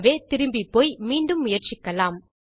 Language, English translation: Tamil, So, let me go back and try this again